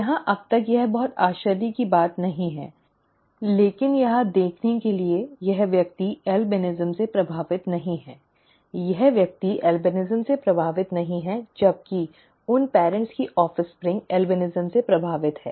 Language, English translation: Hindi, Here itself is I mean, by now it is not very surprising, but to see here this person is not affected with albinism, this person is not affected with albinism, whereas the offspring of that those parents is affected with albinism